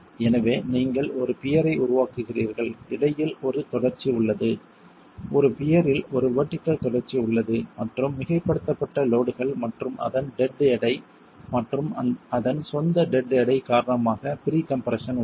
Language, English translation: Tamil, So you construct a peer, there is a continuity between, there is a vertical continuity in a peer and there is pre compression because of the superimposed loads and its dead weight and its own dead weight